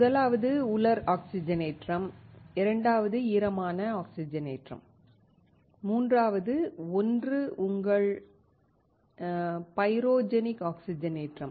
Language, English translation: Tamil, First is dry oxidation, second wet oxidation, while the third one is your pyrogenic oxidation